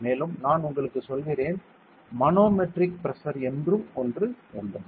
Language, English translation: Tamil, So, there is something as called as manometric pressure also ok